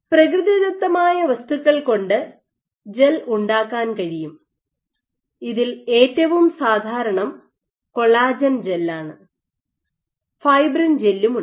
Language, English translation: Malayalam, You can also make gels of natural materials, these would even among the most common is collagen gels, can make fibrin gels also